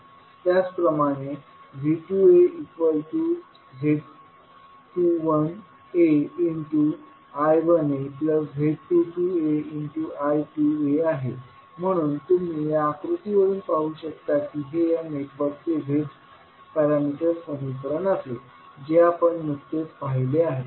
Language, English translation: Marathi, Similarly, V 2a can be written as Z 21a I 1a Z 22a I 2a, so you can see from this particular figure this would be the Z parameter equations of this network will be the equation which we just saw